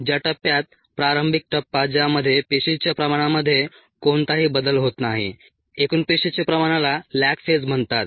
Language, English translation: Marathi, the phase in which the initial phase in which there is no change in the cell concentration, total cell concentration, is called the lag phase